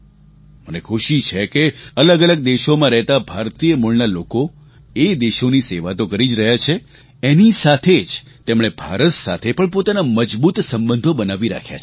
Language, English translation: Gujarati, I am happy that the people of Indian origin who live in different countries continue to serve those countries and at the same time they have maintained their strong relationship with India as well